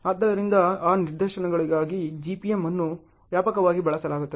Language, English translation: Kannada, So, in for those instances, GPM is very widely used ok